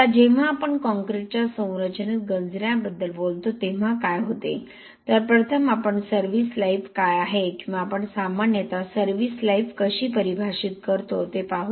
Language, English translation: Marathi, Now what happens when we talk about corrosion in concrete structure, so we will see you know first we will look at what is that service life or how we define service life usually